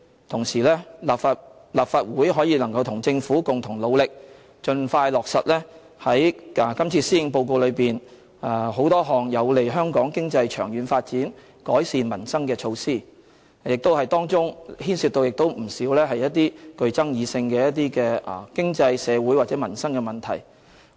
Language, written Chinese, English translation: Cantonese, 同時，立法會能夠與政府共同努力，盡快落實今次施政報告中多項有利香港經濟長遠發展、改善民生的措施，當中不少牽涉具爭議性的經濟、社會和民生問題。, In the meantime I hope the Legislative Council can work together with the Government to expeditiously implement a number of initiatives proposed in this Policy Address with a view to benefiting the long - term economic development of Hong Kong and improving peoples livelihood